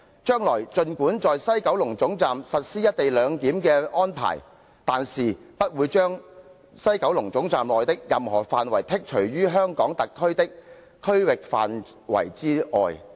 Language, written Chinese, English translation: Cantonese, 將來儘管在西九龍總站實施'一地兩檢'的安排，但是不會將西九龍總站內的任何範圍剔除於香港特區的區域範圍之外。, Even if the co - location of the customs immigration and quarantine facilities of the HKSAR and the Mainland at the West Kowloon Terminus is implemented no area within the West Kowloon Terminus will be carved out of the HKSARs territory